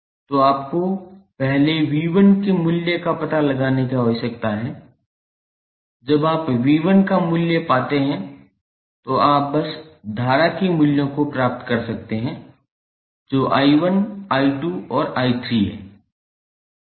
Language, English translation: Hindi, So, you need to first find out the value of V 1 when you find the value of V 1 you can simply find the values of current that is I 1, I 2 and I 3